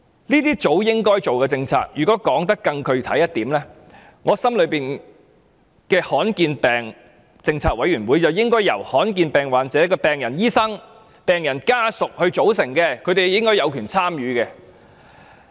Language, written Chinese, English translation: Cantonese, 這是早應該做的政策，如果說得更具體一點，我心目中的罕見疾病政策委員會應由罕見疾病患者的醫生及病人家屬組成，他們應該有權參與。, Such a policy should long be established . More specifically the policy committee on rare diseases in my opinion should be made up of doctors and families of rare disease patients . They should have the right to be part of the committee